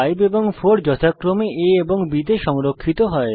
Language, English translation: Bengali, 5 will be stored in a and 4 will be stored in b